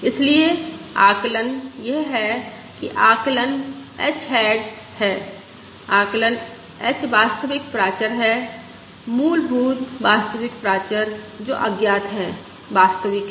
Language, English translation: Hindi, Therefore, the estimate this is the estimate h hat is the estimate h is the true parameter, the underlying the true parameter, which is unknown, right